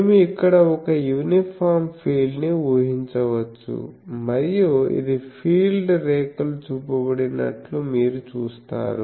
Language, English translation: Telugu, So, we can assume an uniform field here, here also an uniform field and you see the this is the field lines are shown